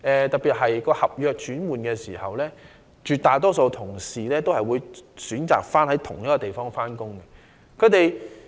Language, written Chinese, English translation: Cantonese, 特別是，在轉換合約時，絕大多數員工皆會選擇在同一個地點上班。, Particularly at the change of contracts an overwhelming majority of employees will choose to work at the same place